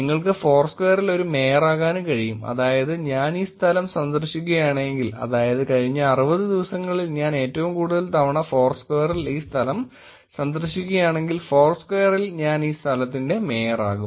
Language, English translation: Malayalam, And you can also become a mayor in foursquare which is, if I visit this place, if I visit this location in foursquare the most number of times in the last 60 days, I become the mayor of this location